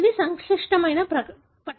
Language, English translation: Telugu, It is a complex table